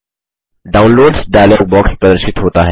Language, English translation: Hindi, The Downloads dialog box appears